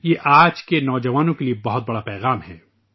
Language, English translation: Urdu, This is a significant message for today's youth